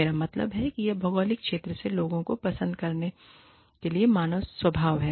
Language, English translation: Hindi, I mean, it is human nature, to like people, from the geographical region, one belongs to